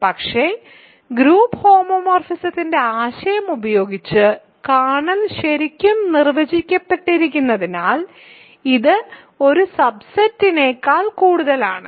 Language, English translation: Malayalam, But, because kernel is really defined using the notion of group homomorphism, it is more than a subset